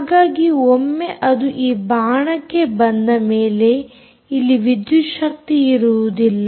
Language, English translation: Kannada, so once it comes to this arrow back here, there is a power down